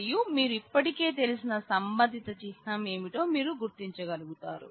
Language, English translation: Telugu, And you will be able to recognize what is what is corresponding symbol that you already know